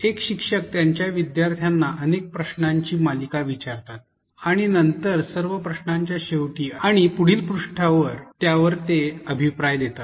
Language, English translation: Marathi, And instructor asks a series of questions to her students and she later provides feedback, but at the end of all the questions and in the next page